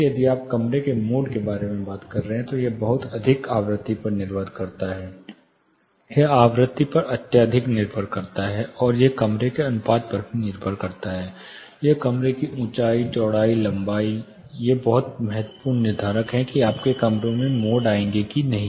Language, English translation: Hindi, Again when you talk about room mode, it is very much frequency depended, it is highly depended on the frequency, and it is also depended under room proportion; that is the height the width length of the room these are very crucial determinants of, whether you will incur room modes or not